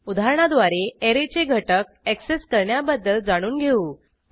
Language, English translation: Marathi, Now, let us understand how to access individual elements in an array